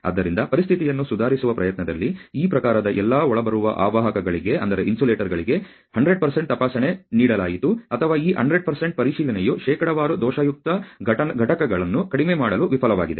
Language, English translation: Kannada, So, in an effort to improve the situation all incoming insulators of this type were given 100% inspection or this 100% inspection failed to decrease the percentage defective units